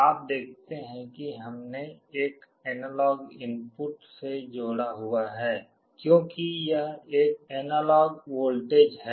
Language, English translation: Hindi, You see we have connected to one of the analog inputs, because it is an analog voltage